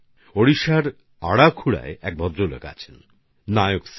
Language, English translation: Bengali, There is a gentleman in Arakhuda in Odisha Nayak Sir